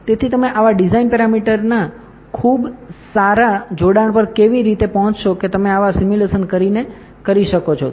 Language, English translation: Gujarati, So, how do you arrive at a very good combination of such design parameters that you can do by doing such simulations